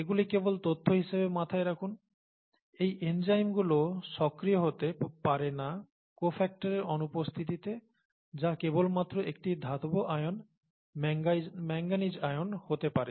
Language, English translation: Bengali, Just have this in mind as information, so the enzymes may not be active in the absence of these cofactors which could just be a metal ion